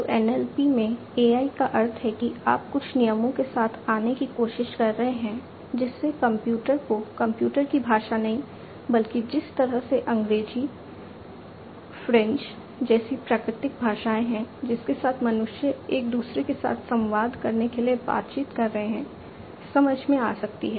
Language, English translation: Hindi, So, AI in NLP means what that you are trying to come up with some rules, etcetera, which can make the computer understand not the computers language, but the way the natural languages like English, French, etcetera with which with which humans are conversant to communicate with one another